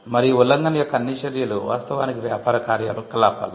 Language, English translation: Telugu, And all the acts of infringement are actually business activities